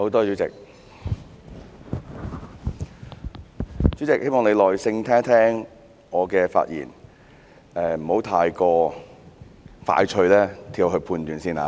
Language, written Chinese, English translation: Cantonese, 主席，我希望你耐心聆聽我的發言，不要太快作出判斷。, President I hope you will listen to my speech patiently instead of making judgments too quickly